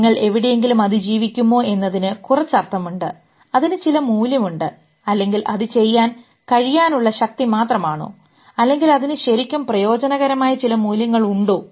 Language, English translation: Malayalam, Whether you will be surviving somewhere that makes some sense, it has some value, or it is just the power of being able to do it, or it has some real utility in value